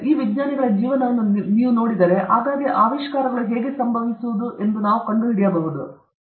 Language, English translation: Kannada, If you look at these lives of these scientists, let us see, let us try to figure out, how can we encourage discoveries to occur more frequently